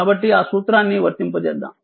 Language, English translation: Telugu, So, we will apply that formula